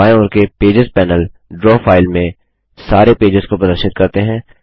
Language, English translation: Hindi, The Pages panel on the left displays all the pages in the Draw file